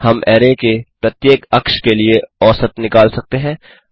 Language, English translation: Hindi, We can calculate the mean across each of the axis of the array